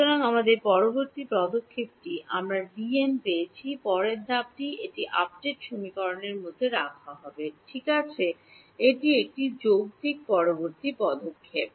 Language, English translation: Bengali, So, our next step is we have got D n the next step is going to be put it into update equation right that is a logical next step